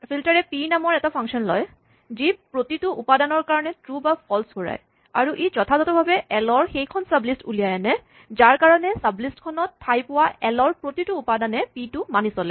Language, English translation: Assamese, So, filter takes a function p, which returns true or false for every element, and it pulls out precisely that sublist of l, for which every item in l, which falls into the sublist satisfies p